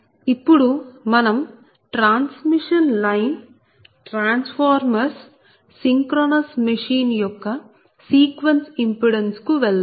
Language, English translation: Telugu, so that is now we have to go for sequence impedance of each component, particularly the transmission line, transformers, then synchronous machine